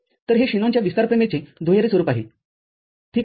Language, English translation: Marathi, This is what Shanon’s expansion theorem says, right